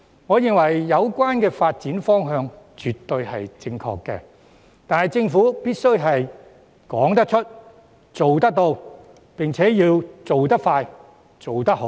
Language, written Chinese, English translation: Cantonese, 我認為有關發展方向絕對正確，但政府必須說得出、做得到，並且要做得快、做得好。, I think the development direction is definitely right but the Government must live up to its words and expeditiously get the job done properly